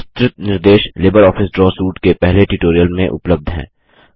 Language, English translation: Hindi, Detailed instruction are available in the first tutorial of Libre office suit